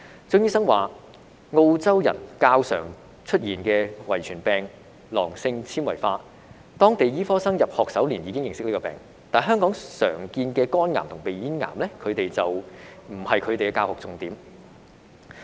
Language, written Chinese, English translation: Cantonese, 張醫生表示，澳洲人較常出現的遺傅病囊性纖維化，當地醫科生在入學首年已認識這個病，但香港常見的肝癌和鼻咽癌並不是他們的教學重點。, According to Dr CHEUNG cystic fibrosis is a more common genetic disease among Australians and local medical students in their first year of study already understand the disease but liver and nasopharyngeal cancers which are common in Hong Kong are not the focus of teaching there